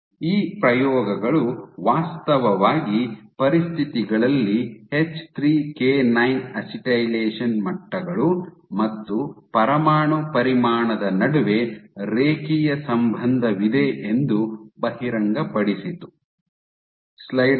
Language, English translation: Kannada, So, these experiments actually revealed that across the conditions there is a very linear relationship between H3K9 acetylation levels and nuclear volume